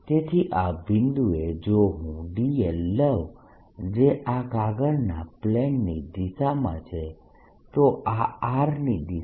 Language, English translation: Gujarati, so at this point if i take d l, which is in the direction of the plane of this paper, in this direction, this is the direction of r